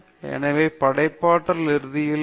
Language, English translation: Tamil, So, therefore, creativity, what is creativity ultimately